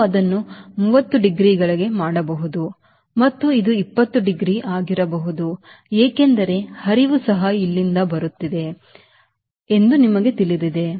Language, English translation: Kannada, gradually, you increase it for this you may make it to thirty degree and this can be twenty degree because you know flow is also coming from here